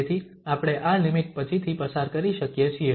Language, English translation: Gujarati, So, this limit we can pass later on